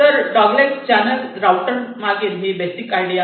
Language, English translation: Marathi, so this is the basic idea behind the dogleg channel router